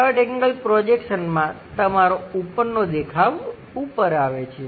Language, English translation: Gujarati, In 3rd angle projection, your top view goes at top level